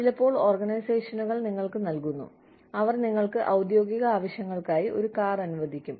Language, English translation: Malayalam, Sometimes, organizations give you, they let you have a car, for official purposes